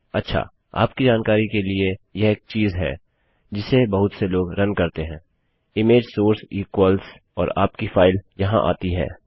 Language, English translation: Hindi, Okay, just to let you know, this is one thing that a lot of people run into: image source equals and your file goes there